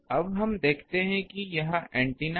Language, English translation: Hindi, Now, let us see the this is the antenna